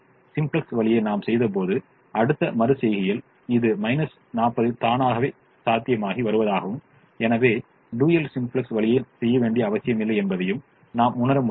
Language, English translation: Tamil, we also realize that is, in the next iteration this minus forty by itself was becoming feasible and therefore there was no need to do the dual simplex way